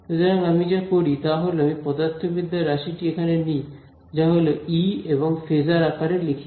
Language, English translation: Bengali, So, what I do is I keep I take my physical quantity over here that is E and I write it in terms of phasor